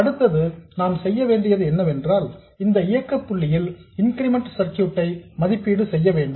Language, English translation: Tamil, Next what we have to do is at this operating point we have to evaluate the incremental circuit